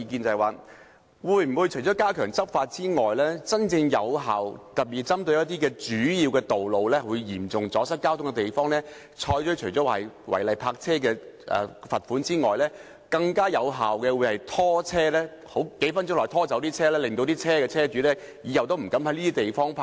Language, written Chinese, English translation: Cantonese, 對於加強執法的真正有效方法，特別是針對主要道路或嚴重阻塞交通的地方，除對違例泊車的車主施加罰款外，會否採用更有效的拖車方法，在數分鐘內把車拖走，阻止車主在這些地方泊車。, As regards truly effective methods to step up law enforcement to pinpoint particularly major roads or places where there is serious traffic congestion will the Secretary adopt a more effective method by towing vehicles away within several minutes to deter owners from parking their vehicles in these places in addition to imposing penalties for illegal parking